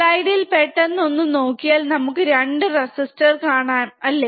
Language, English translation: Malayalam, So, if we quickly see the slide these are the resistors, isn’t it